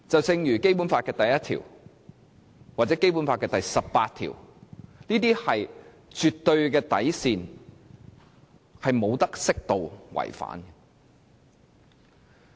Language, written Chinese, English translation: Cantonese, 正如《基本法》第一條或第十八條，是絕對的底線，是不可以適度違反的。, The requirements under Article 1 or Article 18 of the Basic Law are the absolute bottom lines and there is no room for proportionate violation